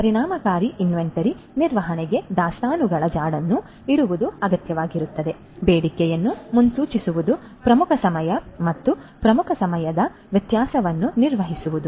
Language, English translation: Kannada, So, for effective inventory management it is required to keep track of the inventory, to forecast the demand, to manage the lead times and the lead time variability